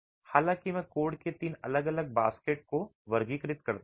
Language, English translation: Hindi, However, I classify three different baskets of codes